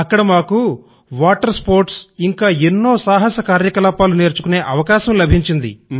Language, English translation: Telugu, It was here that we learnt water sports and adventure activities